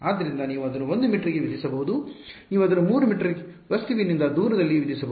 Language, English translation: Kannada, So, you can impose it at 1 meter, you can impose it at 3 meters from the object